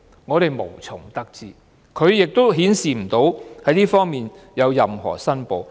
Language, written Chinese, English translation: Cantonese, 我們無從得知，亦沒有顯示她曾就這方面作任何申報。, We have no way to find out and there is no indication that she has made any declaration